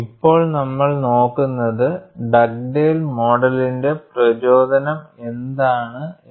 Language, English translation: Malayalam, Now, what we will look at is, what is the motivation of Dugdale model